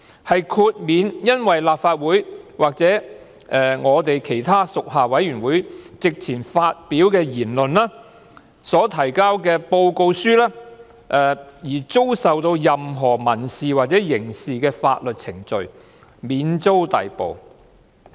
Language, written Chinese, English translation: Cantonese, 他們不會因在立法會或其他屬下委員會席前發表的言論或所提交的報告書而遭受提出任何民事或刑事的法律訴訟，同時免遭逮捕。, No civil or criminal proceedings shall be instituted against any Member for words spoken before or written in a report to the Council or a committee; and no Member shall be liable to arrest